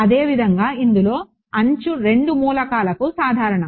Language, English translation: Telugu, Similarly in this the edge is common to both elements